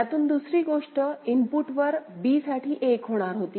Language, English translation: Marathi, The other thing from a it was going to b for 1 at the input